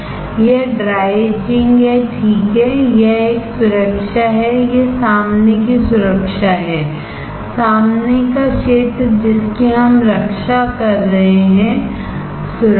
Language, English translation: Hindi, This is dry etching, right this is a protection, this is a front protection, front area we are protecting; protection